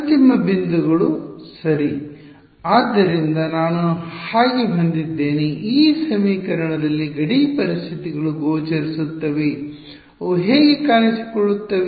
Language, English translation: Kannada, The endpoints right; so, I have so, the boundary conditions appear in this equation how do they appear